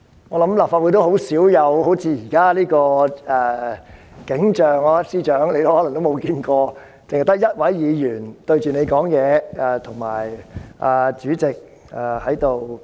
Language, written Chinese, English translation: Cantonese, 我想立法會很少出現好像現在般的景象，可能司長也沒有見過，只有一位議員對他發言，以及主席在主持會議。, I guess such a scene like the present one seldom occurs in the Legislative Council . Perhaps the Chief Secretary has not seen it either . Only one Member speaks to him while the President chairs the meeting